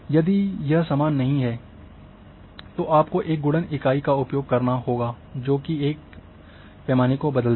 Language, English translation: Hindi, If it is not same then you have to use a factor multiplying factor which will change one scale